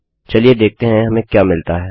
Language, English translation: Hindi, Lets see what we get